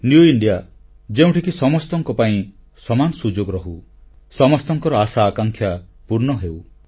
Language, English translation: Odia, In the New India everyone will have equal opportunity and aspirations and wishes of everyone will be fulfilled